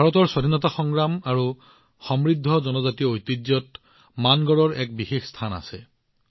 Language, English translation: Assamese, Mangarh has had a very special place in India's freedom struggle and our rich tribal heritage